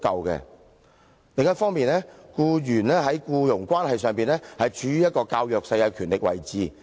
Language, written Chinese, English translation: Cantonese, 另一方面，僱員在僱傭關係上，處於較弱勢的權力位置。, Besides the employee is in a weaker position of power in an employment relationship